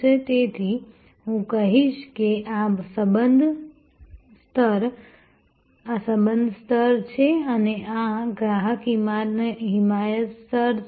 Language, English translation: Gujarati, So, from I would say this is the relationship level and this is the customer advocacy level